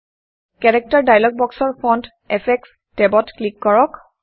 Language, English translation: Assamese, From the Character dialog box, click Font Effects tab